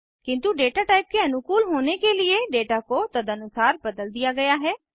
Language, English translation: Hindi, But to suit the data type, the data has been changed accordingly